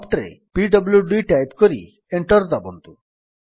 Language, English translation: Odia, Type at the prompt pwd and press Enter